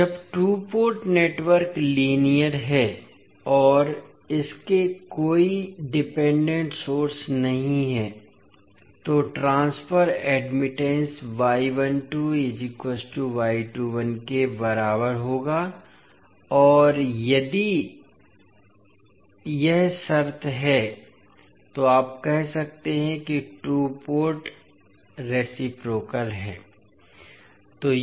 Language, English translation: Hindi, Now, when the two port network is linear and it has no dependent sources, the transfer admittance will be equal to y 12 is equal to y 21 and then if this condition holds, you can say that two port is reciprocal